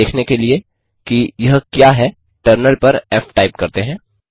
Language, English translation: Hindi, Let us type f on the terminal to see what it is